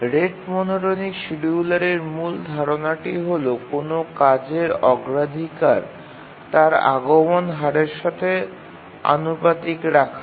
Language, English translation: Bengali, The main idea in the rate monotonic scheduler is that the priority of a task is proportional to its rate of arrival